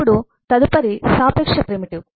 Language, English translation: Telugu, the relative primitives